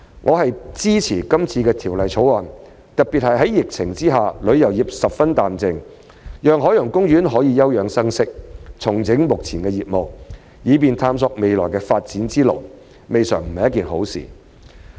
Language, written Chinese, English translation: Cantonese, 我支持今次的《條例草案》，特別是在疫情下旅遊業十分淡靜，讓海洋公園可以休養生息、重整目前的業務，以便探索未來的發展之路，未嘗不是一件好事。, I support the Bill this time around especially because the tourism industry remains sluggish amid the epidemic . This is perhaps a blessing in disguise for OP to take a respite and restructure its existing business in a bid to explore the way forward on its future development